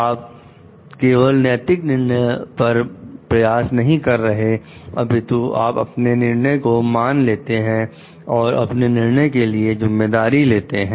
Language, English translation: Hindi, So, you not only exercise moral judgment, but you also own up, you take responsibility for your decisions